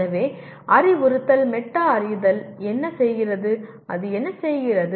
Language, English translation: Tamil, So what does instruction metacognition, what does it do